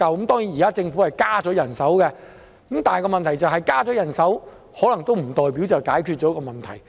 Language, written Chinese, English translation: Cantonese, 當然，現時政府已增加人手，但問題是，增加人手可能也不代表已經解決問題。, Of course the Government has now increased its manpower but the point is Increasing its manpower does not necessarily mean solving the problem